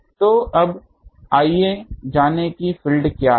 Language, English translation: Hindi, So, now, let us part finding what is the field